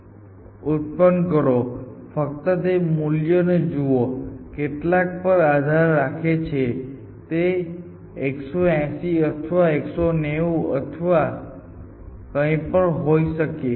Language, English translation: Gujarati, So, generate only look at those values, so depending on of course how many there are this value could be 1 80 or it could be 1 90 or whatever essentially